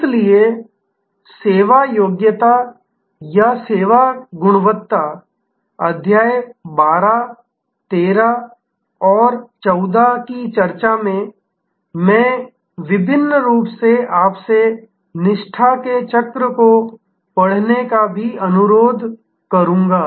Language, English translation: Hindi, So, in the service qualifier or in the discussion of service quality chapter 12, 13 and 14, I would also particularly request you to read the wheel of loyalty